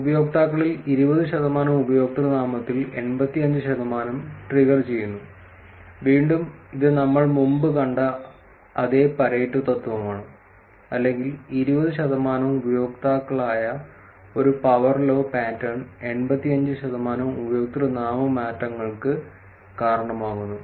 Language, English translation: Malayalam, 20 percent of users trigger 85 percent of username changes, again this is the same Pareto principle that we have seen in the past, or a power law pattern that is 20 percent in users trigger 85 percent of username changes